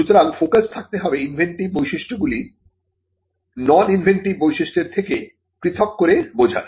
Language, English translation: Bengali, So, the focus has to be in understanding and isolating the inventive features from the non inventive features